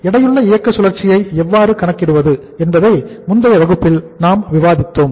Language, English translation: Tamil, We discussed in the class, in the previous class that how to calculate the the weighted operating cycle